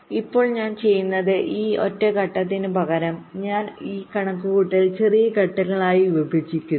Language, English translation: Malayalam, now what i do, what i say, is that instead of this single stage, i divide this computation into smaller steps